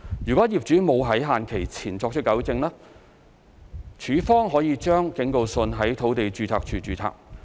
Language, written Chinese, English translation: Cantonese, 如業主沒有在限期前作出糾正，署方可把警告信在土地註冊處註冊。, If the owner does not rectify the breach by the deadline LandsD may register the warning letter at LR